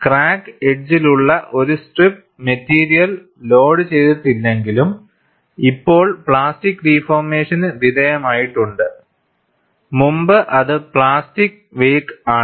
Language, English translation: Malayalam, A strip of material along the crack edges, though no longer loaded, but has undergone plastic deformation previously, constitutes the plastic wake